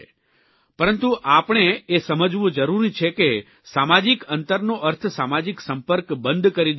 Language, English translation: Gujarati, But we have to understand that social distancing does not mean ending social interaction